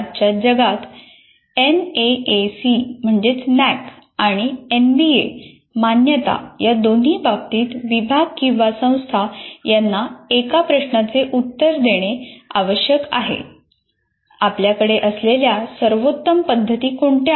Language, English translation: Marathi, And actually if you follow this, in today's world, both in terms of NAAC and NBA accreditation, one of the things that the department or the institute has to follow is to answer the question, what are the best practices you are having